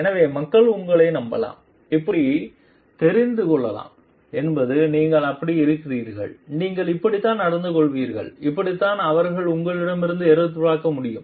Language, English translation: Tamil, So, that people can trust you and know like this is how you are and this is how you behave and this is what they can expect from you